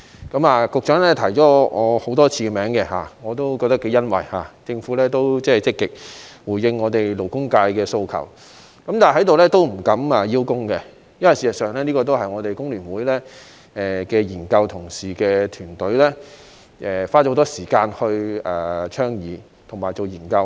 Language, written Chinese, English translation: Cantonese, 局長多次提到我的名字，我感到頗欣慰的是，政府積極回應勞工界的訴求，但我在這裏不敢邀功，因為事實上這是香港工會聯合會研究團隊的同事花了很多時間倡議和進行研究的。, The Secretary has mentioned my name several times and I am glad that the Government has responded positively to the aspirations of the labour sector . Yet I dare not claim credit here . Actually colleagues of the research team of the Hong Kong Federation of Trade Unions have spent a lot of time advocating and studying the issue